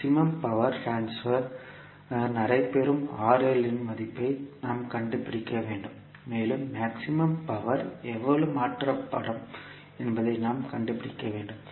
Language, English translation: Tamil, We need to find out the value of RL at which maximum power transfer will take place and we need to find out how much maximum power will be transferred